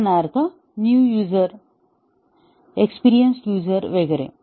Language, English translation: Marathi, For example, very novice users, experienced users and so on